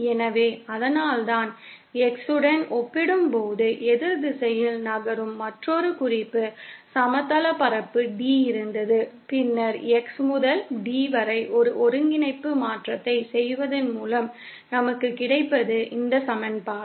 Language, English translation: Tamil, So, that is why what we did was we had another reference plane D which moves in the opposite direction as compared to X and then by doing a coordinate transformation from X to D, what we get is this equation